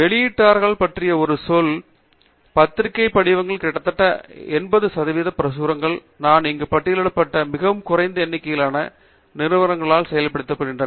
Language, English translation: Tamil, A word about publishers; roughly about eighty percent of the publications in the journal forms are done by a very limited number of companies that I have listed here